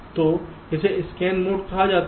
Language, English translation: Hindi, so this is called scan mode